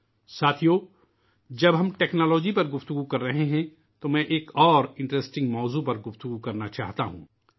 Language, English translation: Urdu, Friends, while we are discussing technology I want to discuss of an interesting subject